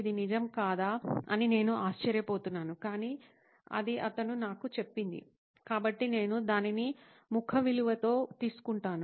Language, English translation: Telugu, I wonder if that is the truth but that’s what he told me, so I will take it at face value